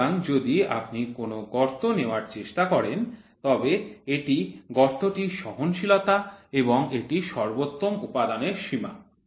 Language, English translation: Bengali, So, if you try to take a hole this is a hole this is the tolerance of on hole this is the maximum material limit